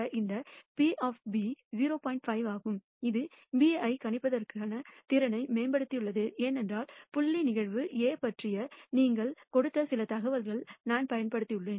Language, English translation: Tamil, 5 which has improved my ability to predict B, because I have used some information you have given about point event A